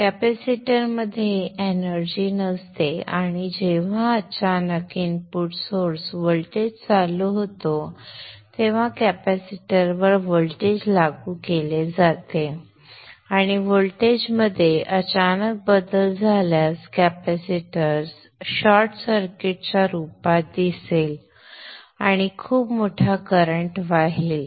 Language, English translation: Marathi, And when suddenly the input source voltage switches on, the voltage is applied across the capacitor and for sudden changes in the voltage the capacity will appear as a short circuit and a very huge current will flow